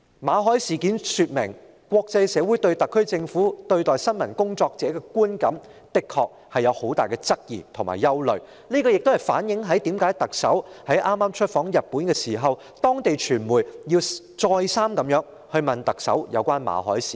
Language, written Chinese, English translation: Cantonese, 馬凱事件說明，國際社會對特區政府對待新聞工作者的觀感的確有很大的質疑和憂慮，這亦反映為何特首在早前出訪日本時，當地傳媒會再三詢問特首有關馬凱的事件。, The incident of Victor MALLET speaks volumes about the considerable queries and misgivings the international community have about the SAR Government in treating journalists . This also explains why the media in Japan had posed repeated questions about the incident of Victor MALLET to the Chief Executive during her visit to Japan some time ago